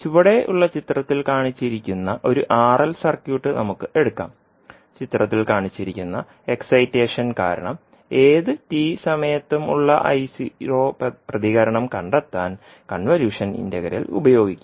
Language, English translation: Malayalam, So let us take one r l circuit which is shown in the figure below, we will use the convolution integral to find the response I naught at anytime t due to the excitation shown in the figure